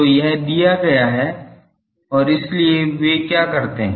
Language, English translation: Hindi, So, this is given and so, what they do